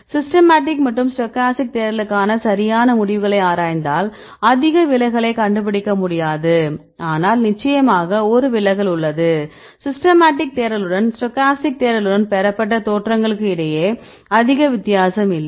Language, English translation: Tamil, If you look into these results between systemic and stochastic search right we cannot find much deviation, but of course, there is a deviation, but not much difference between the poses obtained with systematic search and the stochastic search